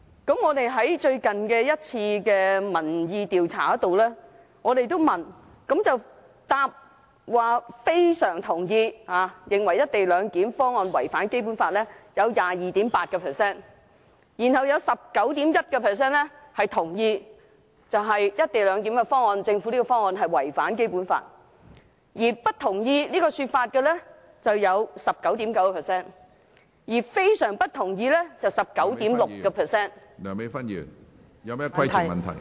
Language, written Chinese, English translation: Cantonese, 在我們最近一次的民意調查，回答"非常同意"，認為"一地兩檢"方案違反《基本法》的受訪者有 22.8%； 有 19.1% 同意政府"一地兩檢"方案違反《基本法》；不同意這說法的有 19.9%； 而非常不同意的有 19.6%......, In an recent opinion survey conducted by us 22.8 % of the respondents answered strongly agree to the question that the co - location arrangement violates the Basic Law; 19.1 % of them agreed that the co - location arrangement violates the Basic Law; those disagreeing accounted for 19.9 % ; and those holding strong disagreement accounted for 19.6 %